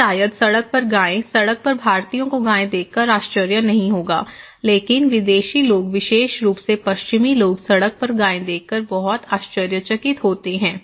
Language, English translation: Hindi, Or maybe cow on the road, Indians wonít be surprised seeing cow on the road but a foreign people particularly, Western people very surprised seeing cow on the road